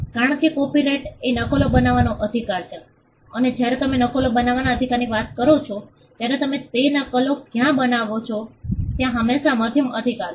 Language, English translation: Gujarati, Because copyright is the right to make copies and when you are talking about the right to make copies where are you making those copies there is always a medium right